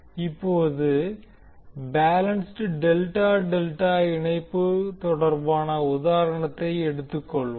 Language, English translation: Tamil, Now let us talk about the balanced Delta Delta Connection